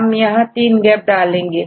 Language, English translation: Hindi, So, we have introduced 3 gaps